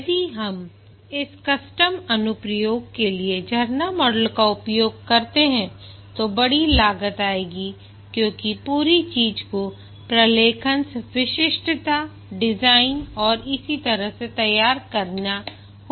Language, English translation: Hindi, If we use the waterfall model for this custom applications, there will be huge cost because the entire thing has to be documented, specification laid out, design and so on